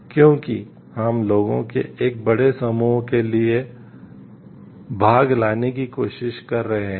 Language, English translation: Hindi, Because we are trying to bring in benefits for a larger set of people